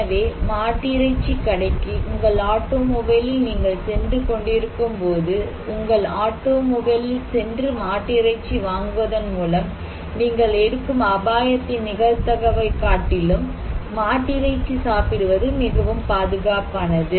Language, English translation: Tamil, So, eating beef is less much safer than the probability of the risk you are taking through buying the beef from your automobile, while you are walking from your automobile to the beef shop